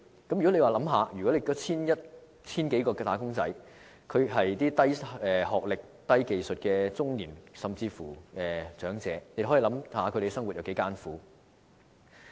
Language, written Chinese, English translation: Cantonese, 大家試想一想，如果該 1,000 多名"打工仔"是低學歷、低技術的中年，甚至長者，他們的生活會多麼艱苦？, Come to think about it . If those 1 000 - odd wage earners are middle - aged or even elderly persons with a low level of education and low skills how miserable their life will become?